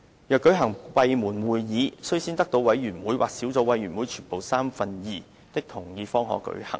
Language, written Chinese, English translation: Cantonese, 若舉行閉門會議，須先得到委員會或小組委員會全部委員三分之二的同意方可舉行。, If a meeting is to be held in camera it shall be so decided by two - thirds majority of the Members of that committee or subcommittee